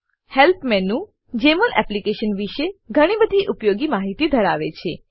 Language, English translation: Gujarati, Help menu has a lot of useful information about Jmol Application